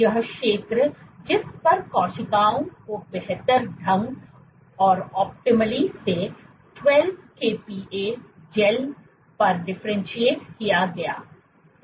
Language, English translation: Hindi, This zone on which the cells optimally differentiated; optimal differentiation was observed on 12 kPa gels